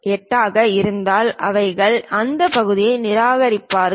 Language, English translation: Tamil, 78 are perhaps 8, if they found it they will reject that part